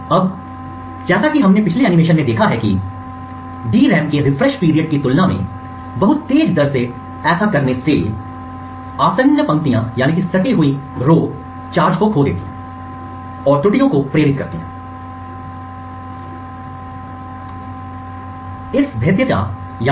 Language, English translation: Hindi, Now as we have seen in the previous animations doing so within at a rate much faster than the refresh period of the DRAM would cause the adjacent rows to lose charge and induce errors and falls in the adjacent rows